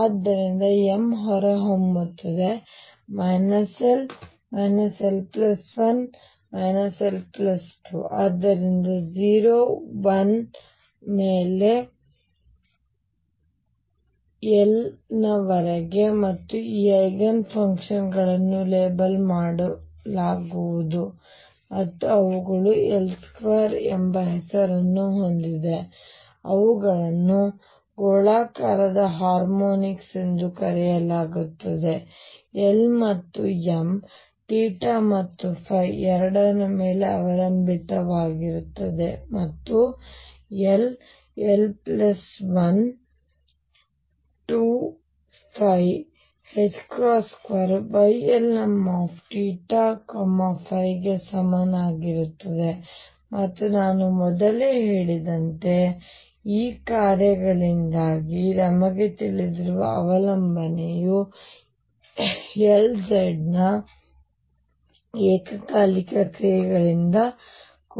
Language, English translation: Kannada, So, m comes out to be minus l, minus l plus 1, minus l plus 2 so on 0 1 all the way up to l and these Eigenfunctions are going to be labelled and they have a name l square, they are called spherical harmonics they depend both on l and m theta and phi is going to be equal to l, l plus 1, h cross square Y l m theta and phi and as I said earlier the phi dependence we know because of these functions beings simultaneous Eigenfunctions of L z also